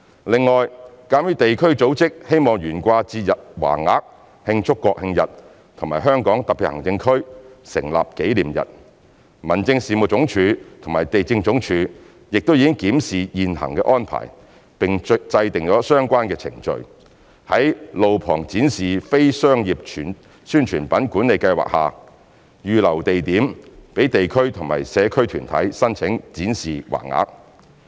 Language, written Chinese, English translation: Cantonese, 另外，鑒於地區組織希望懸掛節日橫額慶祝國慶日及香港特別行政區成立紀念日，民政事務總署與地政總署亦已檢視現行安排並制訂相關程序，在路旁展示非商業宣傳品管理計劃下，預留地點讓地區或社區團體申請展示橫額。, Moreover as local organizations may wish to display festive banners in celebration of the National Day and the HKSAR Establishment Day the Home Affairs Department and the Lands Department have reviewed the existing arrangements and formulated relevant procedures for handling applications by local or community organizations for displaying banners at designated spots under the Management Scheme for the Display of Roadside Non - commercial Publicity Materials